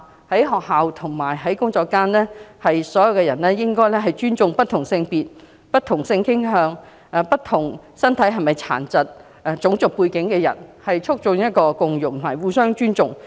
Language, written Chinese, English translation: Cantonese, 在學校和工作場所中，人人都應該尊重不同性別、不同性傾向和不同種族的人士，亦不應因為身體傷健作出歧視，合力營造互相尊重的共融環境。, In schools and workplaces all of us should respect people of different gender sexual orientation and race without discriminating against the disabled to create a harmonized environment of mutual respect